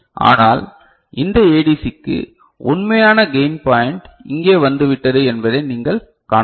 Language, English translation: Tamil, But, for this ADC, you can see that the actual gain point has come over here right